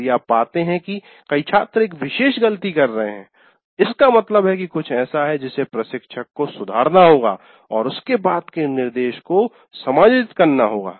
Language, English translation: Hindi, That means if you find many students are committing a particular mistake, that means there is something that instructor needs to correct, have to adjust his subsequent instruction